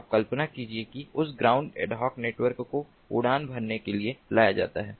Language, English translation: Hindi, now imagine that that ground ad hoc network is brought up to to fly